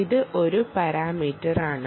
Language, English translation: Malayalam, ok, this is one parameter